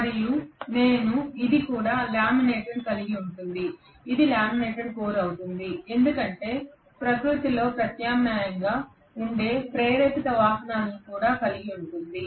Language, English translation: Telugu, And I will have this also laminated, this will also be laminated core because this will also have induced currents which are alternating in nature